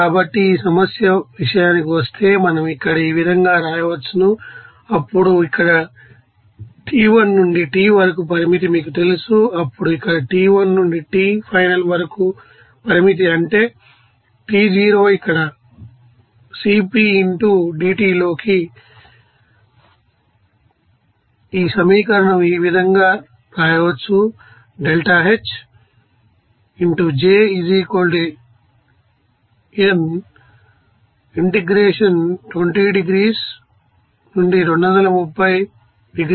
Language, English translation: Telugu, So, as for this problem we can write here then the limit here T1 to T you know that final that is your T0 that means here Cp into dT